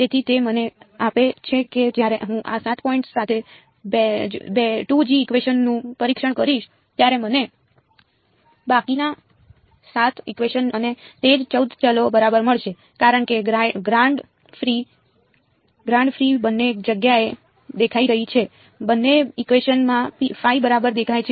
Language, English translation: Gujarati, So, that gives me when I test the 2nd equation with these 7 points I will get the remaining 7 equations and the same 14 variables right, because grad phi is appearing in both places phi is appearing in both equations right